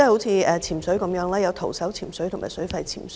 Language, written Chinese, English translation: Cantonese, 以潛水為例，當中包括徒手潛水及水肺潛水。, Take diving including skin diving and scuba diving as an example